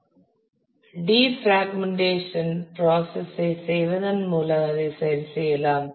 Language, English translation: Tamil, So, we can correct that by doing what is called a defragmentation process